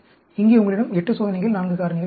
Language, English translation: Tamil, Here, you have 8 experiments, 4 factors